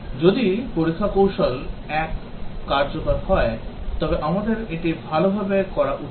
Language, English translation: Bengali, If test technique one is effective, we should do it well